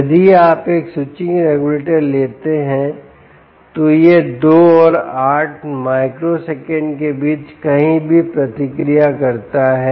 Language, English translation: Hindi, if you take a switching regulator, it responds anywhere between two and eight microseconds